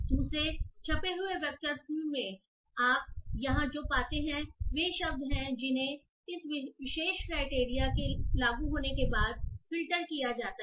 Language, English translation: Hindi, So what you find here in the second printed statement are those words which are filtered after this particular criteria is applied